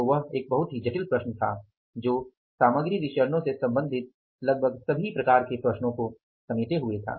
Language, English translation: Hindi, So, that was the complex problem which could address almost all kind of the material variances related problems